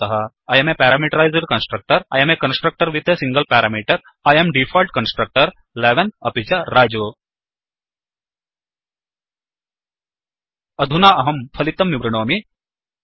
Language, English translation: Sanskrit, We get the output as I am a Parameterized Constructor I am a constructor with a single parameter I am Default Constructor 11 and Raju Now, I will explain the output